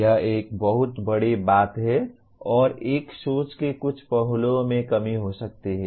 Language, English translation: Hindi, This is a very major thing and one maybe deficient in some aspects of thinking